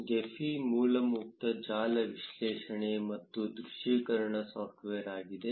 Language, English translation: Kannada, Gephi is an open source network analysis and visualization software